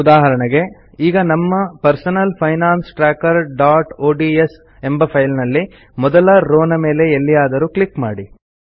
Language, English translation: Kannada, For example in our personal finance tracker.ods file lets click somewhere on the first row